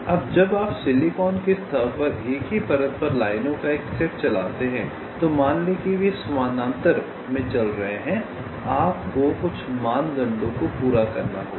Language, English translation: Hindi, like this, let say now means on the surface of the silicon, when you run a set of lines on the same layer, let say they are running in parallel, then you have to satisfy certain criteria